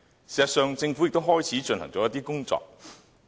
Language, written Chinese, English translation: Cantonese, 事實上，政府也開始進行一些工作。, In fact the Government has commenced work in this regard